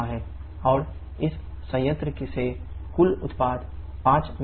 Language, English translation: Hindi, Total output on this plant and is 5 megawatt